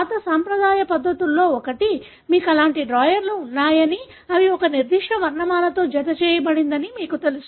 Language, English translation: Telugu, You know that in old, one of the traditional ways of doing it is that you have such drawers, which are attached with a particular alphabet